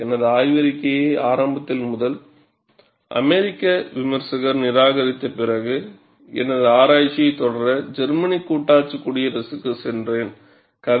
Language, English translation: Tamil, After having my theses initially rejected by the first American reviewer, I went to the Federal Republic of Germany, to continue my research' and the story goes like this